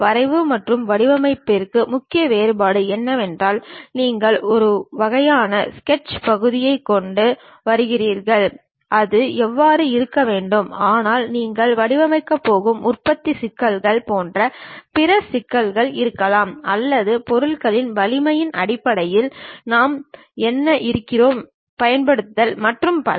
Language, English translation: Tamil, The main difference between drafting and designing is, you come up with a one kind of sketch part it has to be in that way, but when you are designing there might be other issues like manufacturing issues or perhaps in terms of strength of materials what we are using and so on